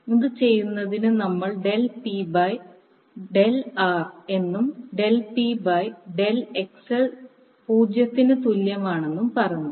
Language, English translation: Malayalam, To do this we said del P by del RL and del P by del XL equal to 0